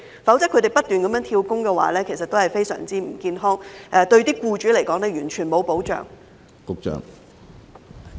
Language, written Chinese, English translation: Cantonese, 否則，他們不斷"跳工"是非常不健康的，對僱主來說也毫無保障。, Otherwise continuous job - hopping of FDHs is very unhealthy and offers no protection to employers